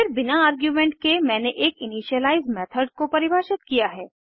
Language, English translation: Hindi, Now let is look at what an initialize method is